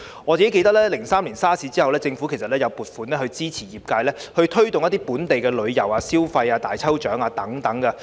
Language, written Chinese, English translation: Cantonese, 我記得在2003年的 SARS 後，政府曾撥款支持業界推動本地旅遊、消費、舉行大抽獎等。, I recall that in 2003 when SARS subsided the Government made provisions to support the industries in promoting local tours and consumer spending organizing lucky draws and so on